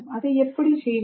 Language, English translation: Tamil, How do you do it